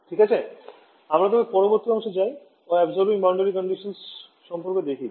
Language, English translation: Bengali, Alright so, now, let us move on the next module and we will look at is Absorbing Boundary Conditions ok